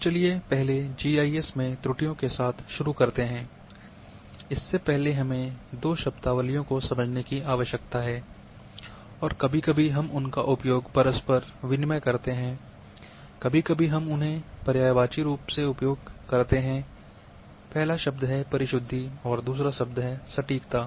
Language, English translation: Hindi, Let’s start first with the errors in GIS, before that we need to understand 2 terms sometime we use them interchangeably,sometimes we use them in synonymously, but the first term is precision and second term is accuracy